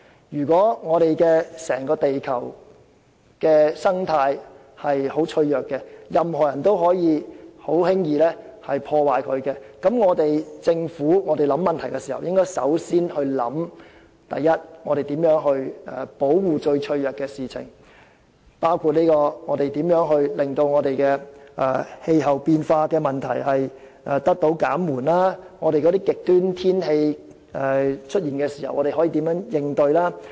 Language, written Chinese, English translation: Cantonese, 如果整個地球的生態非常脆弱，任何人也可以輕易破壞，那麼政府在思考問題時便要首先考慮如何保護最脆弱的部分，包括如何令氣候變化問題得到紓緩，以及當極端天氣出現時可以如何應對。, If the ecological environment of the whole planet Earth is so vulnerable that anyone can easily do damage to it priority consideration should be given by the Government in its planning to adopting methods to tackle the most vulnerable aspect including how we can mitigate climate change and meet the challenges of extreme weather conditions